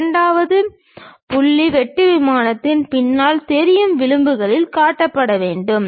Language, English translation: Tamil, The second point is visible edges behind the cutting plane should be shown